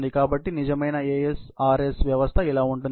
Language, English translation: Telugu, So, this is how a real ASRS system will look like